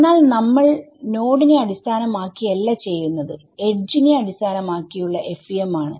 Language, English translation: Malayalam, So, if we were doing node based FEM we would stop here, but we are not doing a node based we are doing an edge base FEM